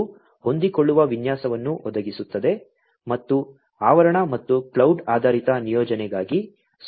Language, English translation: Kannada, It provides a flexible design and offers a facility, for both premise and cloud based deployment